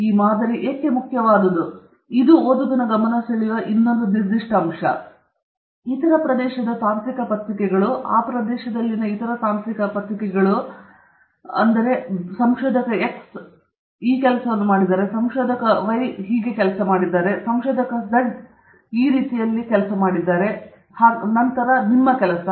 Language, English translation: Kannada, And also, when you talk about, why is it important, this is another specific place where you draw the attention of the reader to other published literature papers, other technical papers in that area, saying that you know, so and so researcher x has done the following work, researcher y has done the following work, and researcher z has done the following work, and then your work